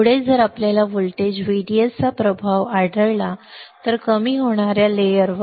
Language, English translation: Marathi, Next is if we find effect of voltage VDS, on depletion layer